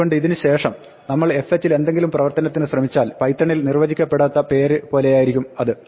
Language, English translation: Malayalam, So, after this if we try to invoke operation on fh it is like having undefined name in python